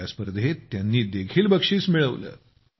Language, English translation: Marathi, He has also won a prize in this competition